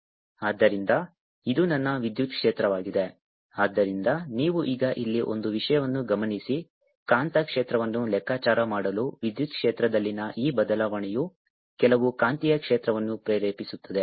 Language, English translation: Kannada, so, ah, one thing: you now note here that for calculating magnetic field, this ah change in electric field will ah induce some magnetic field